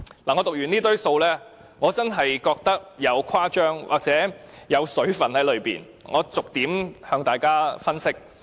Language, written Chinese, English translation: Cantonese, 我讀出這堆數字後，真的覺得當中有誇張成分，讓我逐點向大家分析。, After reading these figures out I do find them exaggerating . Let me go through them with you